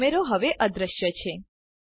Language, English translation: Gujarati, The camera is now hidden